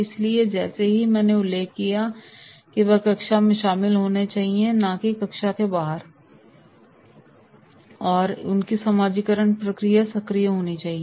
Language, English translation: Hindi, So, as I mentioned that is they should be involved in the classroom and not outside of the classroom, their socialisation process should be there